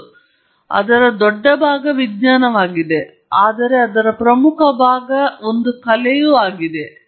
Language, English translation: Kannada, Yes, a big part of it is science, but an important part of it is also an art